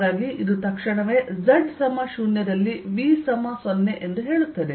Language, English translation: Kannada, this immediately tells me that at z equal to zero, v zero right